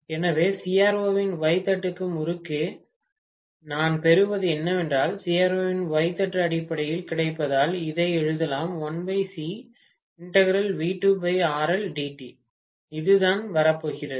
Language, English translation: Tamil, So, what actually I am going to get across the Y plate, so this is going to go across the Y plate of CRO, this terminal will be connected to Y plate, that will go to the Y plate of CRO